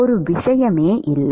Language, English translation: Tamil, Does not matter